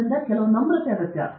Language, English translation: Kannada, So, some humility is required